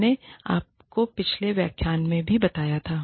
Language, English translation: Hindi, I told you, in the previous lecture, also